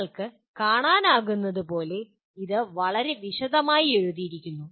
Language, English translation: Malayalam, As you can see it is very, it is written in a great detail